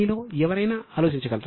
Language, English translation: Telugu, Is any one of you able to think